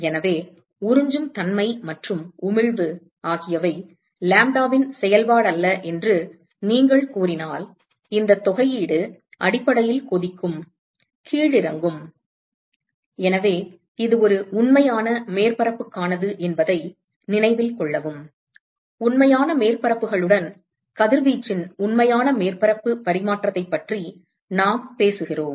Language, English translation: Tamil, So, supposing you say that absorptivity and emissivity are not a function of lambda, then this integral will essentially boil down to… So, note that this is for a real surface, we are talking about real surface exchange of radiation with real surfaces